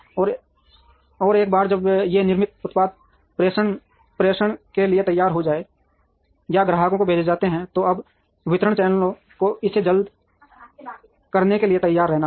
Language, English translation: Hindi, And once these manufactured products are ready for dispatch or to be sent to the customer, now the distribution channels have to be ready to do it quickly